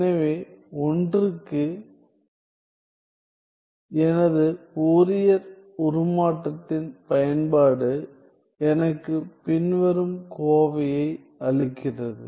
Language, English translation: Tamil, So, my application of Fourier transform to 1 gives me the following expression